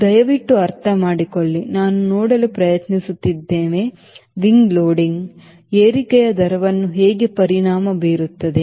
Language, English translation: Kannada, we understand we are trying to see how wing loading is going to affect rate of climb